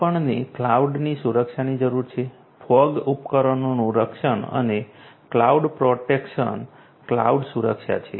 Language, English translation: Gujarati, We need security for cloud is fog devices protection and this is cloud protection, cloud security and so on